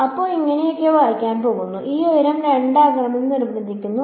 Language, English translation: Malayalam, So, it is going to be read like this and this height is being forced to be 2